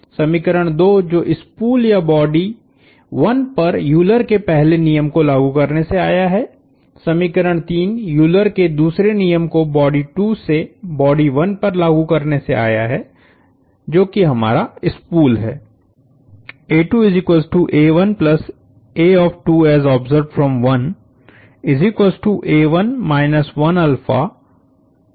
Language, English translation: Hindi, Equation 2; which came from applying Euler’s first law to the spool or body 1, equation 3 came from applying Euler’s second law to body 2 to body 1, which is our spool